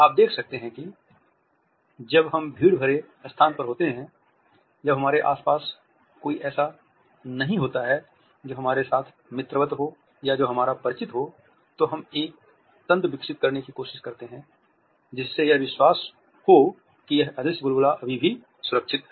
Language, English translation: Hindi, You might notice that, when we are in a crowded space when there is nobody around us who is friendly with us or who is our acquaintant, we try to develop a mechanism to create a make believe sense that this invisible bubble is still protected